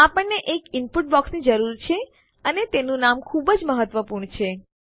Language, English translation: Gujarati, Were going to need an input box and its name is very important